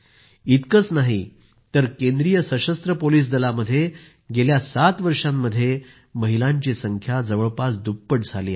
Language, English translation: Marathi, Even in the Central Armed Police Forces, the number of women has almost doubled in the last seven years